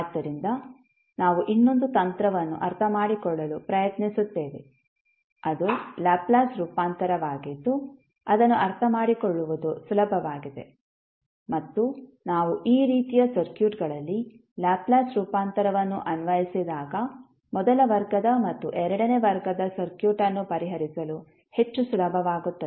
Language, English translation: Kannada, So, we will try to understand another technique that is the Laplace transform which is easier to understand and we when we apply Laplace transform in these type of circuits it is more easier to solve the first order and second order circuit